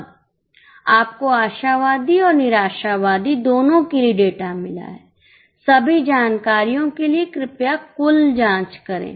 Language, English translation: Hindi, Now you have got the data for both optimistic and pessimistic for all the information